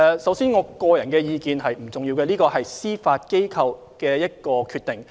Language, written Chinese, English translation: Cantonese, 首先，我的個人意見並不重要，這是司法機構的決定。, First my personal opinion is not important . That is the decision of the Judiciary